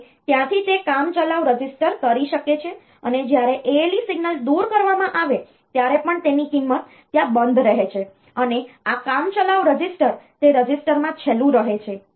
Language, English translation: Gujarati, And from there the it can the temporary register even when the ALE signal is taken off the value remain latched there, and this temporary register it remain last in that register